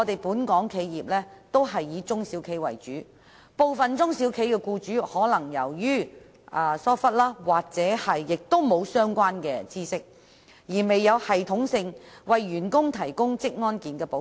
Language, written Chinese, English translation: Cantonese, 本港企業以中、小型企業為主，部分中小企僱主可能因疏忽或欠缺相關知識而並未有系統地為員工提供職安健保障。, Most of the enterprises in Hong Kong are small and medium enterprises SMEs and due to negligence or a lack of the relevant knowledge some employers of SMEs have not provided their employees with proper protection in occupational safety and health in a systematic manner